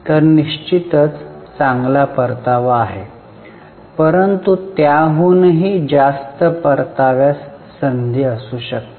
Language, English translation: Marathi, So, definitely it's a good return but there can be scope for even higher return